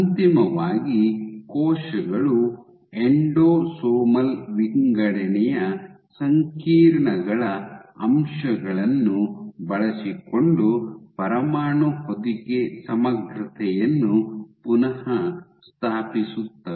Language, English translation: Kannada, So, eventually cells restore nuclear envelope integrity using components of the endosomal sorting complexes